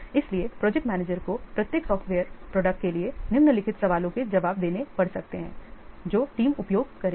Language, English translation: Hindi, So, the project manager may have to answer the following questions for each software product the team will use